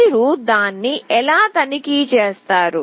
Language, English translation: Telugu, How will you check that